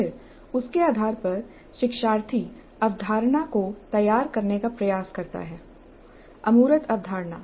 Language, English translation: Hindi, And then based on that, the learner tries to formulate the concept